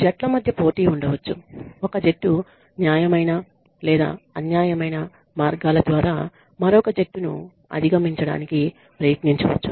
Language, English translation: Telugu, And there could be competition between teams one team may try to outdo another by fair or unfair means